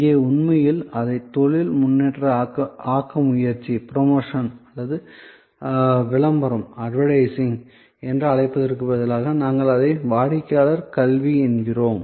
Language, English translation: Tamil, So, here actually instead of calling it promotion or advertising, we call it customer education